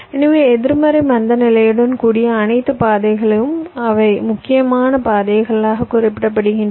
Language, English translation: Tamil, so all paths with a negative slack, they are refer to as critical paths